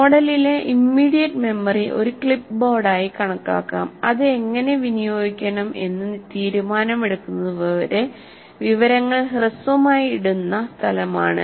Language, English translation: Malayalam, Okay, immediate memory in the model may be treated as a clipboard, a place where information is put briefly until a decision is made, how to dispose it off